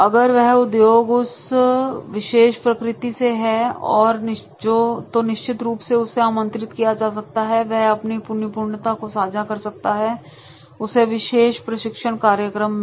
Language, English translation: Hindi, If he is from that particular nature of industry, then definitely he can be invited, he will share his expertise related to that particular training program